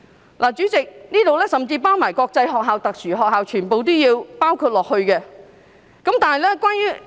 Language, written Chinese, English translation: Cantonese, 代理主席，該條文甚至連國際學校和特殊學校全部也包括在內。, This is stipulated in clause 9 of the Bill and Deputy Chairman even international schools and special schools are covered under this provision